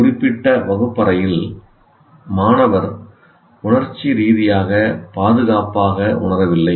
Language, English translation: Tamil, In a particular classroom, the student may not feel emotionally secure